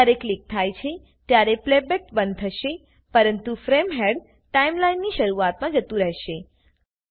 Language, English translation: Gujarati, When clicked the playback will stop but the frame head will go to the beginning of the Timeline